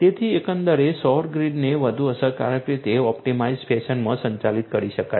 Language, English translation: Gujarati, So, overall the solar grids could be managed much more efficiently in an optimized fashion